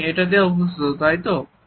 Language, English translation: Bengali, This is what you are used to